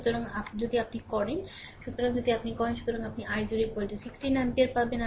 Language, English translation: Bengali, So, if you do; so, if you do; so, you will get i 0 is equal to 1 6 ampere